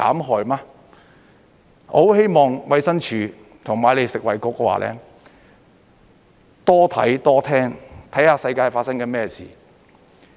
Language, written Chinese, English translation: Cantonese, 我很希望衞生署和你們食衞局多看多聽，看看世界正在發生甚麼事。, I really hope that the Department of Health and you FHB will observe and listen more to see what is happening in the world